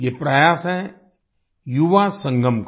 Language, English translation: Hindi, This is the effort of the Yuva Sangam